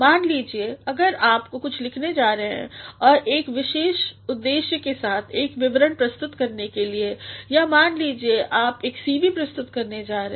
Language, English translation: Hindi, Suppose, if you are going to write something and which is with a specific purpose for submitting a report or suppose you are going to submit a CV